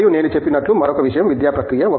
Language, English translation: Telugu, And, the other thing as I said is the academic process